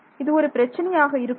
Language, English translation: Tamil, So, is that a problem